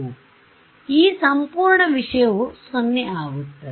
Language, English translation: Kannada, So, this whole thing the whole sum was 0